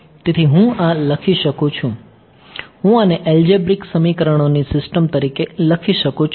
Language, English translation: Gujarati, So, I can write this, I can write this as a system of algebraic equations ok